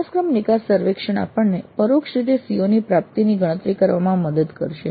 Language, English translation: Gujarati, So the course exit survey would help us in computing the attainment of CO in an indirect fashion